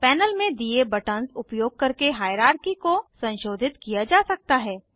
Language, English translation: Hindi, Hierarchy can be modified using the buttons given in the panel